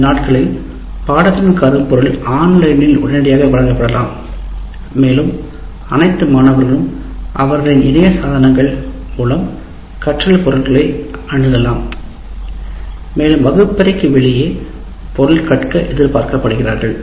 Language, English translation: Tamil, The content these days can easily be delivered online and all students have access to their devices to get connected to online and they are expected to study the material outside the classroom